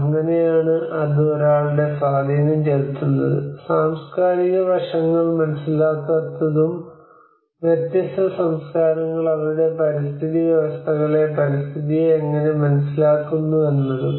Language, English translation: Malayalam, That is how it has an impact of one do not understand the cultural aspects and how different cultures understand their ecosystems on the environment